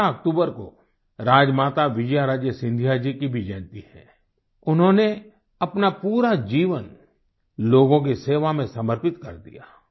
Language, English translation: Hindi, This 12th of October is the birth anniversary of Rajmata Vijaya Raje Scindia ji too She had dedicated her entire life in the service of the people